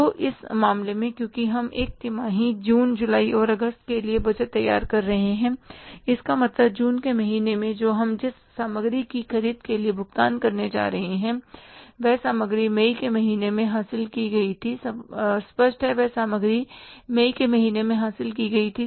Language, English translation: Hindi, So now in this case, because we are preparing the budget for one quarter June, July and August, it means in the month of June which we are going to pay for the purchases of material, that material was acquired in the month of May